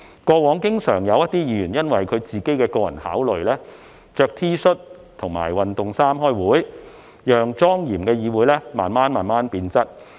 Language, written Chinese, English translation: Cantonese, 過往經常有議員因其個人考慮，穿着 T 恤或運動服開會，令莊嚴的議會慢慢變質。, In the past some Members often attended meetings in T - shirt or sportswear because of their personal considerations . This has gradually undermined the solemnity of the Council